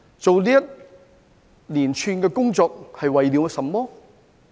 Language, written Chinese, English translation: Cantonese, 進行這一連串工作是為了甚麼？, What is the purpose of this series of work?